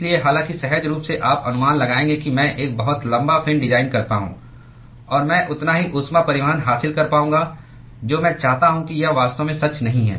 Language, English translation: Hindi, So, although intuitively you would guess that I design a very very long fin and I will be able to achieve as much as heat transport that I want that is not really true